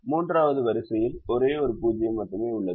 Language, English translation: Tamil, the third row has only one zero